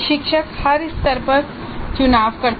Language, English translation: Hindi, So the teacher makes the choices at every stage